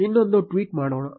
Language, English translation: Kannada, Let us make another tweet